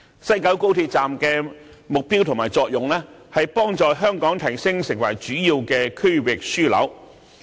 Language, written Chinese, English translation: Cantonese, 西九站的目標和作用是幫助提升香港成為主要區域樞紐。, The objective and purpose of the West Kowloon Station are to help promote Hong Kong as a major regional hub